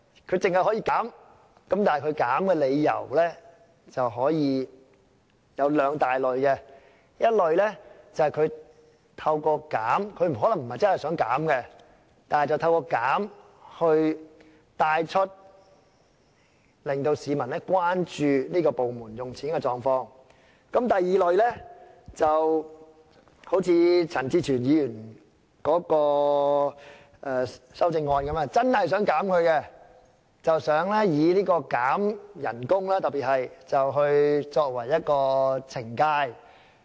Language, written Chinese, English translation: Cantonese, 同事要求減少開支的理由可分為兩大類，一類是透過減少開支——可能他們不是真的想減少的——但希望透過提出削減開支，令市民關注有關部門支出的狀況；另一類則好像陳志全議員的修正案般，是真的想減少開支，特別是想以削減薪金作為懲戒。, Colleagues propose a reduction of expenditure for two main reasons . One reason is that through a reduction of expenditure―they may not really want to reduce it―they hope that by proposing a reduction of expenditure they can draw the publics attention to the spending of the department concerned . The other reason is that they really want to reduce the expenditure and in particular they want to reduce officials salaries as punishment just as the amendment proposed by Mr CHAN Chi - chuen